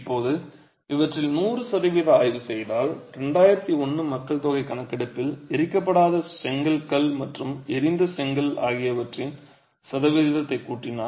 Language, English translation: Tamil, Now if you were to examine the percentages, out of 100% of these, if you add up the percentages of unburnt brick, stone and burnt brick for the 2001 census, we get a total of 84